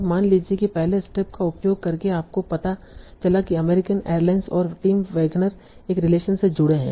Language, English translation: Hindi, So now suppose by using the first step you found out that American Airlines and Tim Wagner are connected by a relation